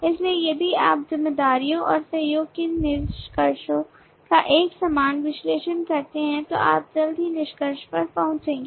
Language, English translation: Hindi, so if you do a similar analysis of the containments of responsibilities and the collaboration you will soon come to the conclusion